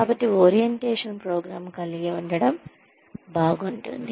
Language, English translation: Telugu, So, it is nice to have an orientation program